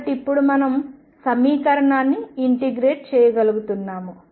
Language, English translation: Telugu, So, now we are able to integrate the equation